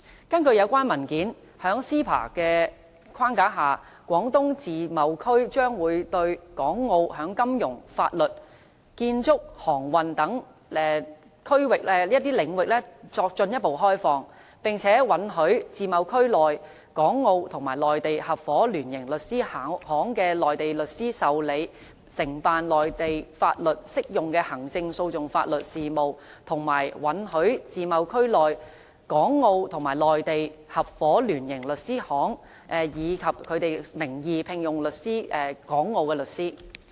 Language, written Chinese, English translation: Cantonese, 根據有關文件，在 CEPA 的框架下，廣東自貿區將會向港澳進一步開放金融、法律、建築、航運等領域，並且允許自貿區內港澳與內地合夥聯營律師事務所的內地律師受理、承辦內地法律適用的行政訴訟法律事務，以及允許自貿區內港澳與內地合夥聯營律師事務所，以其事務所名義聘用港澳律師。, According to the document the Guangdong Free Trade Zone will further open up its finance law construction maritime sectors under the framework of CEPA for Hong Kong and Macao; allow Mainland legal practitioners in law firms in the Guangdong Free Trade Zone which are formed by partnership or joint venture between Hong KongMacao and the Mainland to accept and undertake legal matters relating to Administrative Procedure Law using Mainland laws and also allow these law firms to employ legal practitioners from Hong Kong and Macao in the name of the law firms